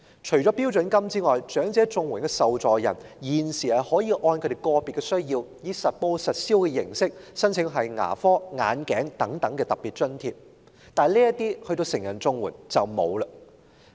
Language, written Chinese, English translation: Cantonese, 除了標準金額外，長者綜援受助人現時可以按其個別需要，以實報實銷的形式申請牙科、眼鏡等特別津貼，但成人綜援則沒有相關津貼。, In addition to the standard rates elderly CSSA recipients currently may apply for special grants to cover the costs of dental treatment glasses etc . on a reimbursement basis according to their individual needs but such grants are not available for adult CSSA recipients